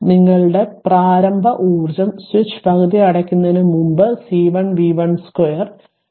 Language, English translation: Malayalam, So, before this your initial store energy and before closing the switch half C 1 v 1 square